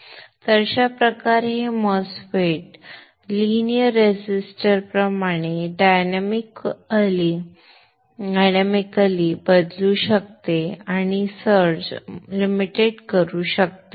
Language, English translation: Marathi, So this way this MOSFET can behave like a linear resistor dynamically changing and limit the search